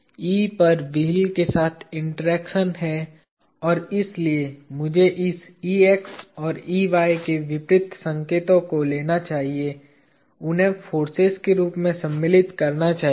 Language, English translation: Hindi, At E there is an interaction with the wheel and therefore, I should take the opposite signs of this Ex and Ey and insert those as the forces